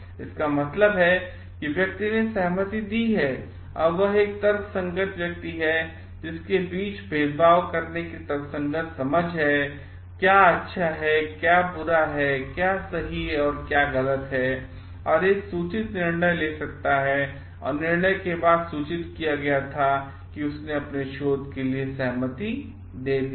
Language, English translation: Hindi, Means the person has given the consent is a rational person who has a rational sense of discriminating between what is good, what is bad what is right and what is wrong and can make a informed decision were informed decision and after the decision is being made, he or she has given the consent for their research